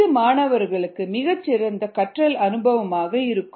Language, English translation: Tamil, its a very good learning experience for the students